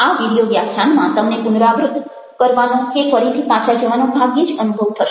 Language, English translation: Gujarati, even in this video lecture, we will hardly feel like repeating going back again